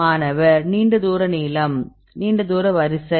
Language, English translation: Tamil, The long range long Long range order